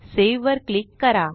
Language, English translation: Marathi, Then click on Save button